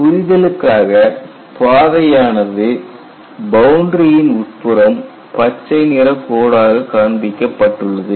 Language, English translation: Tamil, For clarity, the path is shown slightly inside the boundary as a green line